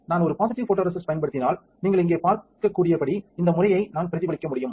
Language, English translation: Tamil, If I use a positive photoresist then I can replicate this pattern as you can see here